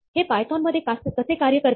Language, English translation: Marathi, How does this work in python